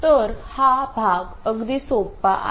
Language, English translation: Marathi, So, this part is pretty simple